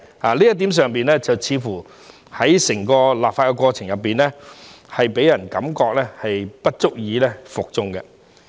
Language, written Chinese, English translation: Cantonese, 在這一點上，似乎在整個立法過程中，予人感覺不足以服眾。, In this regard it seems that people do not find the entire legislative process sufficiently convincing